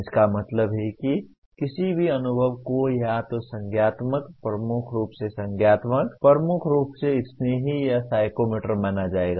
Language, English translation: Hindi, That means dominantly any experience will be either cognitive, dominantly cognitive, dominantly affective, or psychomotor